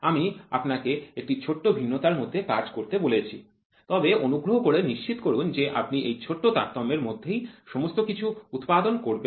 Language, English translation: Bengali, I will try to allow you to have a small variation, but please make sure you produce everything within that small variation